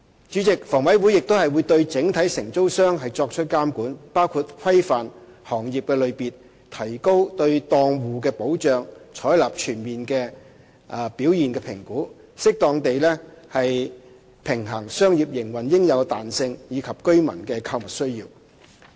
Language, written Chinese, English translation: Cantonese, 主席，房委會亦會對整體承租商作出監管，包括規範行業類別、提高對檔戶的保障及採納全面的表現評估，以適當地平衡商業營運應有的彈性及居民的購物需要。, President HA will also monitor the single operators by regulating the trade types enhancing protection for stall operators and adopting a more comprehensive performance appraisal system with a view to suitably striking a balance between the required flexibility in business operation and the shopping needs of residents